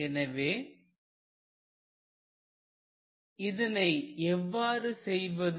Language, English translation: Tamil, so how will you do it